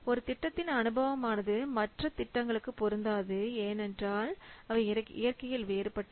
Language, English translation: Tamil, So the experience on one project may not be applicable to the other since the nature they are different